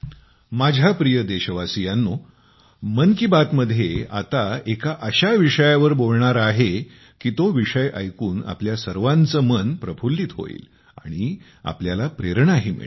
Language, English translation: Marathi, My dear countrymen, in 'Mann Ki Baat', let's now talk about a topic that will delight your mind and inspire you as well